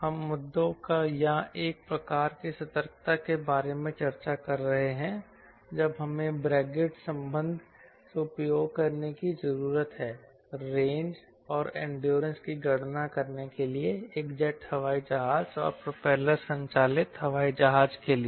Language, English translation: Hindi, we have been discussing about the issues or a type of alertness we need to have when you use brigade relationship to compute range endurance for a jet airplane, for propeller driven airplane